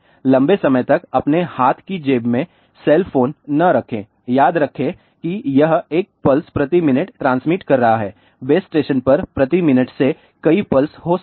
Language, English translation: Hindi, Do not keep cell phone in your hand pocket for a long remember it is transmitting a 1 pulse per minute to may be to several pulses per minute to the base station